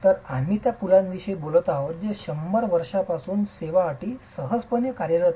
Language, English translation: Marathi, So, we are talking of bridges which have been in service condition for over 100 years easily